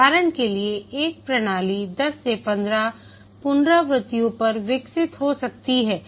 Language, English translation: Hindi, For example, a system may get developed over 10 to 15 iterations